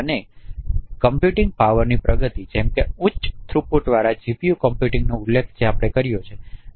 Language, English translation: Gujarati, And advancement of computing power as I mentioned high throughput GPU computing like this is one such example